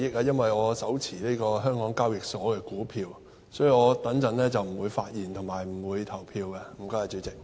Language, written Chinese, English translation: Cantonese, 因為我持有香港交易及結算所有限公司的股票，所以我稍後不會發言，亦不會投票。, As I am a shareholder of the Hong Kong Exchanges and Clearing Limited I will not speak later on; nor will I cast my vote